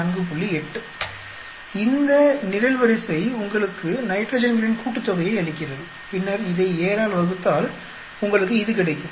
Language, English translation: Tamil, 8 this column gives you the sum of nitrogens, then divide by 7 you get this